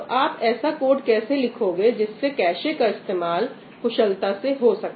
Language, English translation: Hindi, So, how do you write code that makes efficient use of the cache